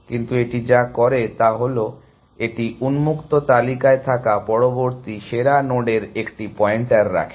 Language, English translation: Bengali, But, what it also does is that, it keeps a pointer to the next best node that is in the open list